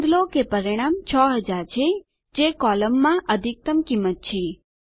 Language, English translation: Gujarati, Notice, that the result is 6000, which is the maximum value in the column